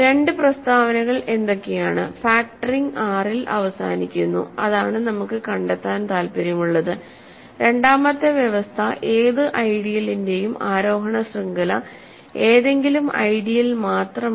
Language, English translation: Malayalam, So, what are the two statements that I want to make here factoring terminates in R, factoring terminates in R which is what we are interested in finding out and the second condition is that any ascending chain of ideals not just any ideals